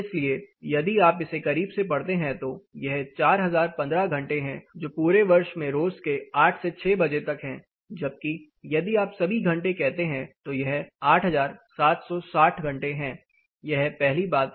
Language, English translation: Hindi, So, if you read it closely here it is a 4015 hours that is 8 am to 6 am daily all through the year, where as if you say all hours it says 8760 hours this is the first thing